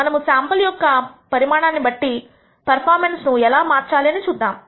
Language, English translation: Telugu, We will take a look at how we can alter the performance based on sample size